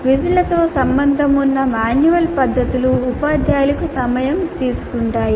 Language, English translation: Telugu, The manual methods associated with quizzes can be time consuming to teachers